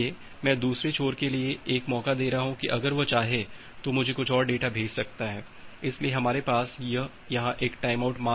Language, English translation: Hindi, So I am giving an opportunity for the other end to send few more data to me if it wants, so that is why we have this timeout value here